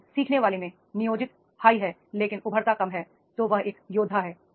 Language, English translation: Hindi, If the learner is the plant is high but the emergent is low, he is a warrior and it is such